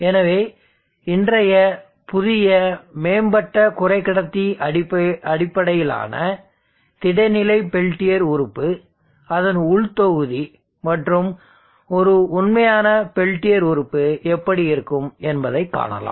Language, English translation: Tamil, So this is how today’s new advanced semi conductor based solid state peltier element will operate, will behave and then how it is internal block look like